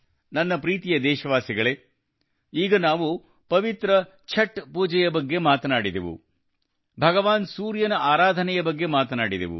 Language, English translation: Kannada, My dear countrymen, we have just talked about the holy Chhath Puja, the worship of Lord Surya